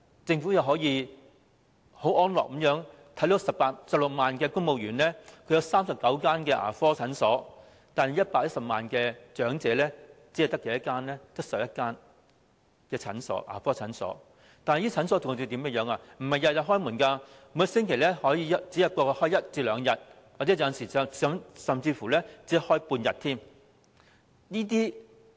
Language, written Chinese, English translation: Cantonese, 政府可以很安樂地為16萬名公務員提供39間牙科診所，但110萬名長者卻只獲11間牙科診所提供服務，而且這些診所並非每天應診，每星期可能只開一至兩天，甚至只開半天。, The Government can comfortably provide 39 dental clinics for 160 000 civil servants but 1.1 million elderly people can be served by 11 dental clinics only . Moreover these clinics do not open every day . They may open only one or two days or even half a day a week